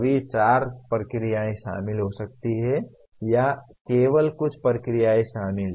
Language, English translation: Hindi, All the four processes may be involved or only some processes are involved